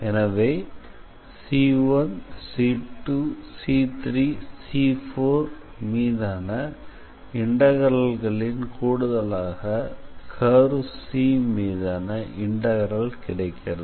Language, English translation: Tamil, So, integral over C1 C 2 C3 C4 if you sum them then that will be the integral over the curve C